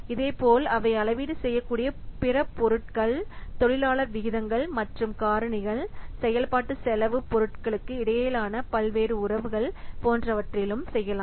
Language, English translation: Tamil, Similarly, the other items they can be calibrated are labor rates and factors, various relationships between the functional cost items, etc